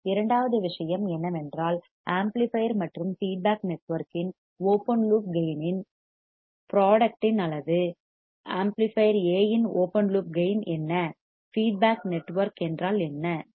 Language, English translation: Tamil, Second thing is, first thing is this, second thing is the magnitude of the product of open loop gain of the amplifier and feedback network what is open loop gain of the amplifier A, what is feedback network beta right